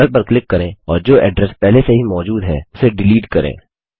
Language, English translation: Hindi, Click on the URL and delete the address that is already there